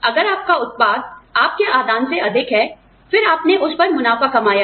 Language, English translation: Hindi, If your output is more than your input, then you made a profit on it